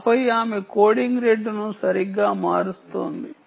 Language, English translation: Telugu, then she is then changing the coding rate